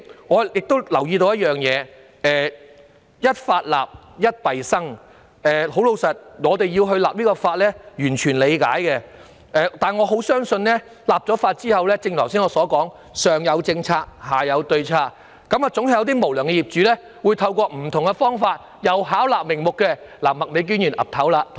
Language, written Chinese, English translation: Cantonese, 我亦注意到"一法立，一弊生"，我們雖完全理解制定是項法例的需要，但亦深信在立法後會出現剛才所說的上有政策，下有對策的情況，總會有無良業主透過不同方法再次試圖巧立名目。, I also understand that a new law will necessarily lead to a new problem and although we fully understand the need to enact this piece of legislation we do believe that after the passage of the Bill people will definitely come up with countermeasures against the policies implemented as I mentioned just now . There will inevitably be some unscrupulous landlords who try to fabricate various reasons through different means to overcharge their tenants again